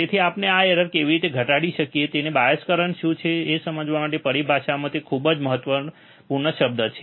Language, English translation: Gujarati, So, how we can reduce this error; so, it is very important term in terminology to understand what is the bias current, alright